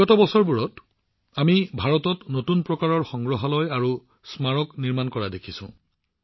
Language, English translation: Assamese, In the past years too, we have seen new types of museums and memorials coming up in India